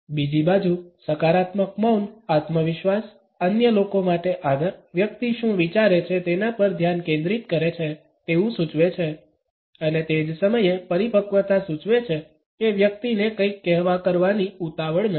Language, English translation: Gujarati, On the other hand positive silence indicates confidence, respect for others, focus on what the person is thinking and at the same time maturity by suggesting that the person is not in hurry to blurt out something